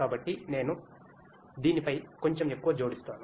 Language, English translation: Telugu, So, I will add a little more onto this